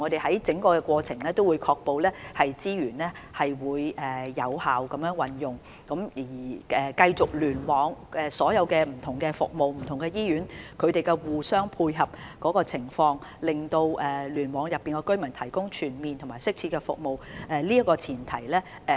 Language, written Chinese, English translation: Cantonese, 在整個過程中，當局會確保資源有效運用，確保聯網內各項不同服務及醫院互相配合，為聯網覆蓋的居民提供全面及適切服務。, Throughout the whole process the authorities will seek to ensure that resources are used effectively and that various services and hospitals within a cluster can dovetail with one another so as to provide comprehensive and appropriate services to residents covered by a cluster